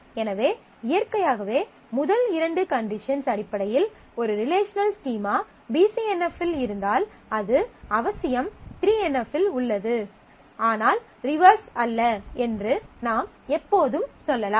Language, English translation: Tamil, So, naturally you can see that based on the first two conditions, you can always say that if a relational schema is in BCNF, it necessarily is in 3NF, but not the reverse